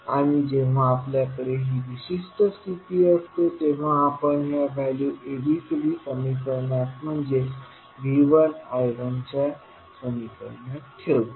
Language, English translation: Marathi, And when we have this particular condition we put these values in the ABCD equation that is V 1 I 1 equations